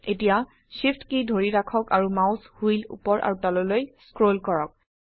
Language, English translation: Assamese, Now, hold SHIFT and scroll the mouse wheel up and down